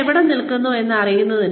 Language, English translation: Malayalam, Knowing, where you stand